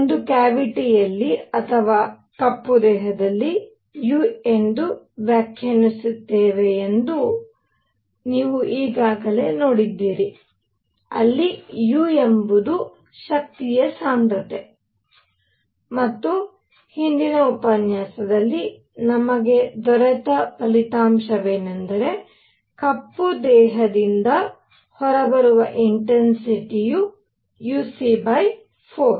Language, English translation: Kannada, You have already seen that in a cavity or in a black body, we define something called u; where u was the energy density and the result that we got in the previous lecture was that the intensity coming out of a black body is uc by 4, this is the intensity coming out